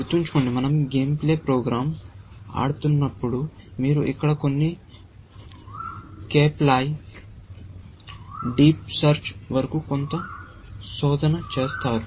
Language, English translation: Telugu, Remember, that when we are playing a game playing program, you are doing some search up to some Cape lie, deep search, here